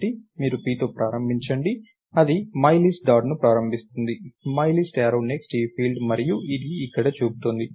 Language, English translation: Telugu, So, you start with p, it starts myList dot, myList arrow next is this field and thats pointing here